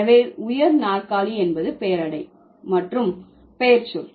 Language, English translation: Tamil, So, high chair is an adjective plus noun word